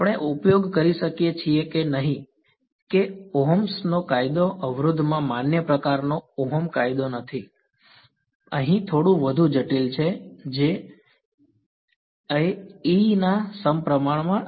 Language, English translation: Gujarati, We can use no, that Ohms law is not ohms law sort of valid in the resistor, here there is a little bit more complicated right J is not going to be proportional to E